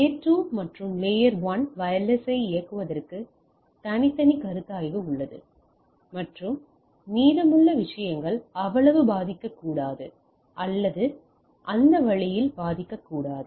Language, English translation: Tamil, So, at the layer 2 and layer 1 there are separate consideration for enabling the wireless and to the rest of the things are may not be affected that much or are not affected that that way